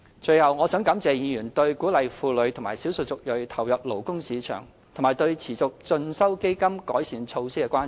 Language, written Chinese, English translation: Cantonese, 最後，我想感謝議員對鼓勵婦女和少數族裔投入勞工市場及對持續進修基金改善措施的關注。, Lastly I wish to thank Members for their concerns over the issue of encouraging the participation of women and ethnic minorities in the labour force and over measures for improving the Continuing Education Fund